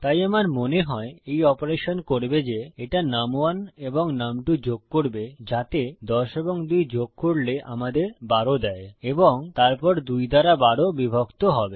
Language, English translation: Bengali, So, what I think this operation will do is, it will add num1 and num2, so that is 10 and 2 which will give us 12 and then 12 divided by 2